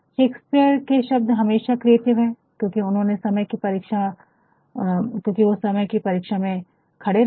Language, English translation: Hindi, Shakespeare words are always creative, because they have stood the test of time